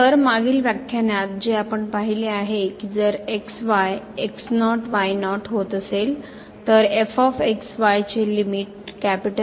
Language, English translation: Marathi, So, in the previous lecture what we have seen that this limit as goes to is equal to L